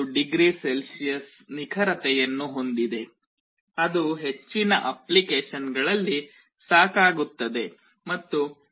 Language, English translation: Kannada, 25oC that is often sufficient in most applications